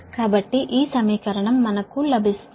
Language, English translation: Telugu, so this equation we will get